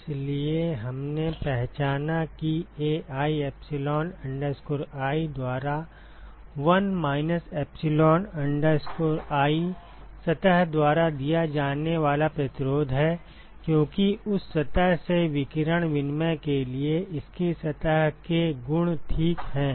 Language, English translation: Hindi, So, we identified that 1 minus epsilon i by Ai epsilon i is the resistance offered by the surface because of its surface properties for radiation exchange from that surface ok